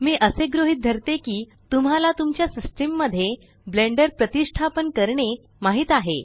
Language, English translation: Marathi, I assume that you already know how to install Blender on your system